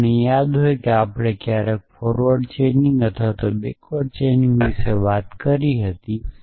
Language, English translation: Gujarati, So, if you remember when we talked about forward chaining or backward chaining